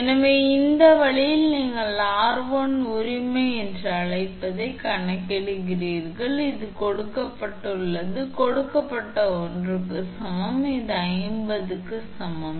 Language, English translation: Tamil, So, that way then you calculate your what you call that r1 right it is given it is given is equal to this one is equal to 50 right